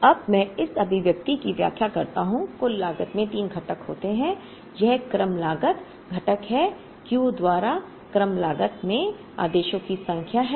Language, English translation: Hindi, So, let me explain this expression now, total cost has three components this is the order cost component D by Q is the number of orders into order cost